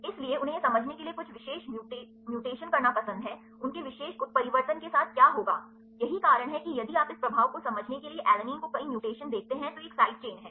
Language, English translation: Hindi, So, they like to have some specific mutations to understand, what will happen with their particular mutation, this is why if you see many mutations to alanine to understand the effect of this is a side chain right